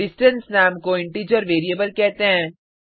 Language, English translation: Hindi, The name distance is called an integer variable